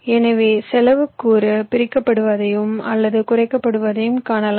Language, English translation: Tamil, so, as you can see, your cost component gets divided or reduced